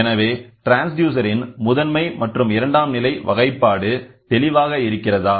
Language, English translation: Tamil, So, classification of transducer can be primary and secondary, is it clear